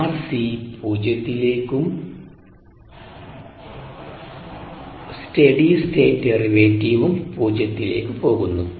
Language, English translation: Malayalam, so r c goes to zero and steady state anytime derivative goes to zero